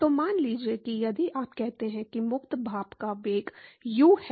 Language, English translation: Hindi, So, supposing if you say that the free steam velocity is U